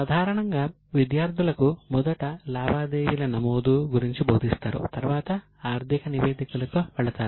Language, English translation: Telugu, Normally the students are first taught about recording and then they go to financial statements